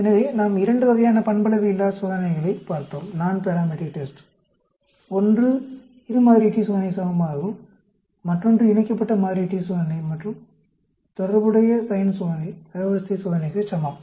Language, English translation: Tamil, So, we looked at two types of nonparametric test, one for equivalent to two sample t test; the other one is equivalent to a paired sampled t test, and corresponding signed test, rank test